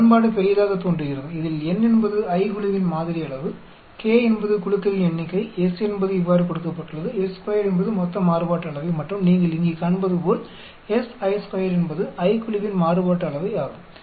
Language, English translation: Tamil, Equation looks big where your n is the sample size of the ith group, k is the number of groups, s is given like this, s square is a total variance and s i square is the variance of the ith group as you can see here